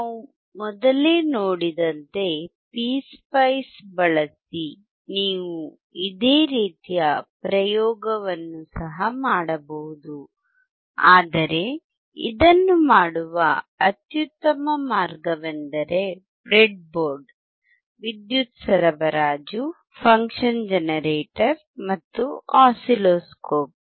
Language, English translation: Kannada, You can also do similar experiment using PSpice as we have seen earlier, but the best way of doing it is using breadboard, power supply, function generator, and oscilloscope